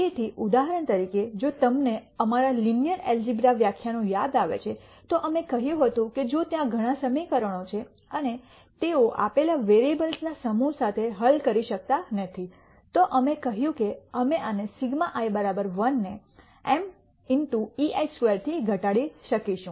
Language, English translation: Gujarati, So, for example, if you remember back to our linear algebra lectures we said if there are many equations and they cannot be solved with a given set of variables then we said we could minimize this sigma i equal to 1 to m e i square